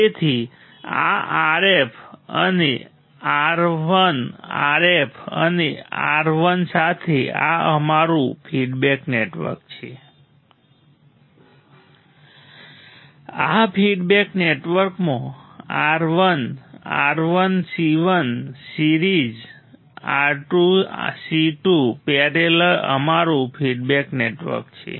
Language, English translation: Gujarati, So, of course, with this R f and R I R f and R I this is our feedback network right these are feedback network R 1 R 1 C 1 series R 2 C 2 parallel is our feedback network right